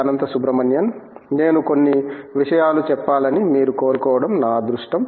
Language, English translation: Telugu, Anantha Subramanian for joining us, it is a pleasure to have you